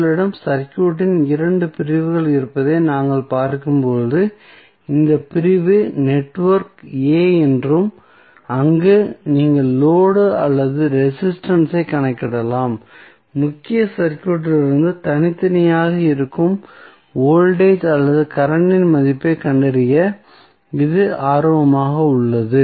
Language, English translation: Tamil, As we see you have 2 sections of the circuit you can say this section is network A and where you see the load or the resistance which, which is of your interest to find out the value of either voltage or current that would be separated from the main circuit and it is called as network B